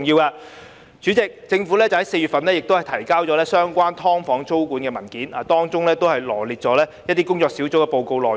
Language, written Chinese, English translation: Cantonese, 代理主席，政府在4月份提交有關"劏房"租管的文件，當中臚列出一些工作小組的報告內容。, Deputy President in April the Government submitted a paper on tenancy control of subdivided units in which the report prepared by the task force concerned was partially set out